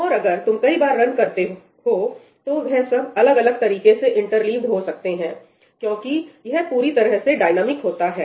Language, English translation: Hindi, And if you run multiple times they may get interleaved in different manners because it is completely dynamic, right